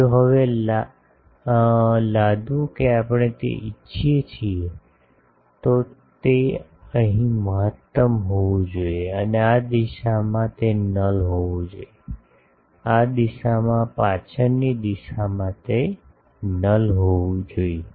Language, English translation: Gujarati, Also if we now, impose that we want that, it should have maximum here and in this direction it should have null, in this direction, in the back direction it should have null